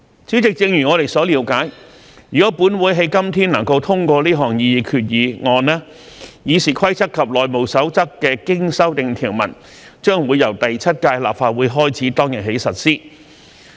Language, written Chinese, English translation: Cantonese, 主席，正如我們所了解，如果本會今天能夠通過這項擬議決議案，《議事規則》及《內務守則》的經修訂條文將會由第七屆立法會開始當日起實施。, President we understand that if the Council can pass the proposed resolution today the amended provisions of RoP and HR will come into operation on the day on which the Seventh Legislative Council begins